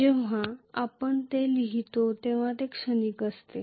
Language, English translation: Marathi, When you write that, that is transient